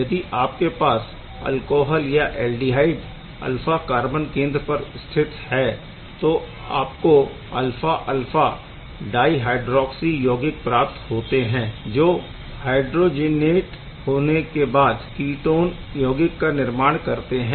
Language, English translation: Hindi, You can take an alcohol aldehyde, you can hydrioxilate the alpha position of the alcohol and can give the dihydroxy compound; alpha alpha dihydroxy compound which can which can which can then dehydrogenate; to give you the ketone compound